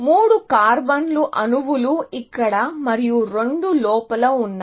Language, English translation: Telugu, So, 3 carbon atoms are here; 2, I buy it inside here